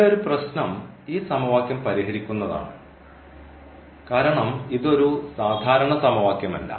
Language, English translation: Malayalam, The problem here is that solving this equation because this is not an ordinary equation